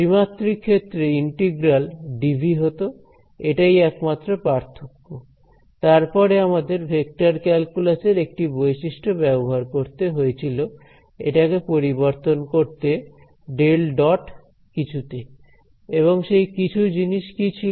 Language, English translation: Bengali, In 3D it would be a integral dv that is only difference, then we had use one identity of vector calculus to convert this into a del dot something; and what was that something